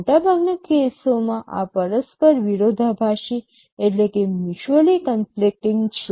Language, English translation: Gujarati, These are mutually conflicting in most cases